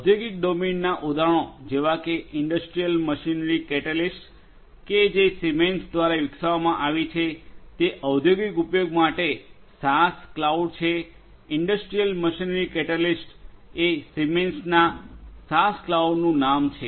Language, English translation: Gujarati, Examples from the industrial domain are, Industrial Machinery Catalyst that was developed by Siemens that is a SaaS that is a SaaS cloud for industrial use; industrial machinery catalyst is the name from of the SaaS cloud from Siemens